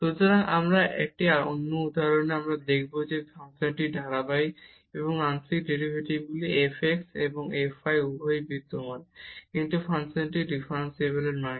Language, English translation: Bengali, So, this is one example, we will show that this function is continuous and the partial derivatives exist both f x and f y, but the function is not differentiable